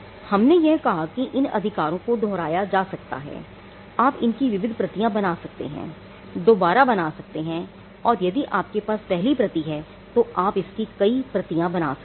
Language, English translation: Hindi, We said these rights are duplicitous you can make multiple you can reproduce them if you have the first copy you can make multiple copies of it